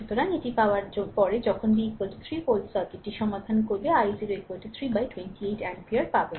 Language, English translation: Bengali, So, after getting this when v is equal to 3 volt you solve the circuit, you will get i 0 is equal to 3 by 28 ampere right